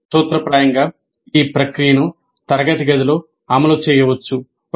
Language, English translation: Telugu, That means in principle the process can be implemented in a classroom